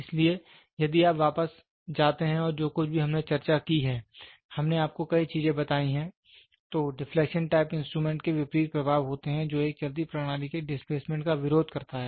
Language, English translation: Hindi, So, if you go back and see whatever we have discussed we have told you many things, opposite the deflecting type instrument has opposite effects which opposes the displacement of a moving system